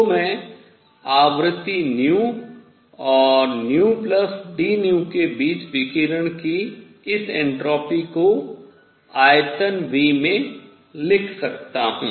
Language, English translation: Hindi, So, I can write this entropy of radiation between frequency nu and nu plus d nu, right, in volume V